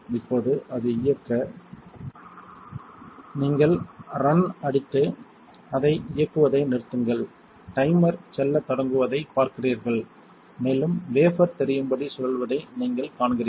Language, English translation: Tamil, Now, to run it you hit run and stop you run it you see the timer starts going and you see that the wafer visibly spinning